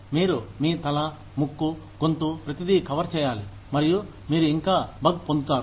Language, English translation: Telugu, You cover your head, nose, throat, everything, and you still get the bug